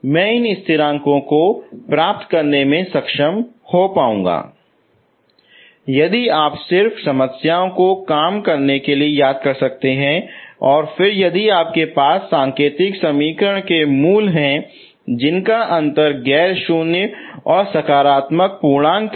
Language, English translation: Hindi, So if you can remember just work out problems, okay, and then so if you look at the indicial equation roots and the difference is non zero but it is a positive integer